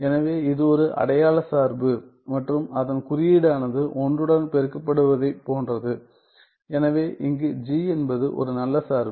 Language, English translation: Tamil, So, it is an identity function and its notation is that is just like multiplication with a one; so, where g is a good function right